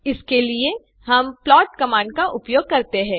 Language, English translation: Hindi, For this we use the plot command